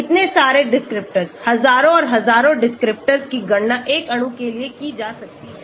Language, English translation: Hindi, So many descriptors, thousands and thousands of descriptors can be calculated for a molecule